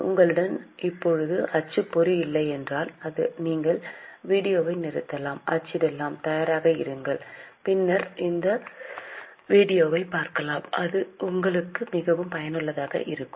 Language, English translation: Tamil, If you don't have a printout right now, you can stop the video, take the printout, be ready and then see this video, then it will be more useful to you